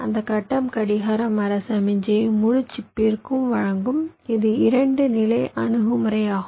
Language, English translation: Tamil, that grid will provide the clock tree signal to the entire chip